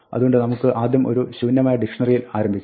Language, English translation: Malayalam, So, let us start with an empty dictionary